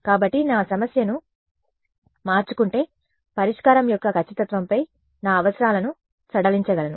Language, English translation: Telugu, So, I have if I change my problem I can relax my requirements on the accuracy of solution